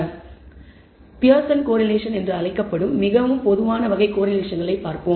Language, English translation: Tamil, So, let us look at the most common type of correlation which is called the Pearson’s correlation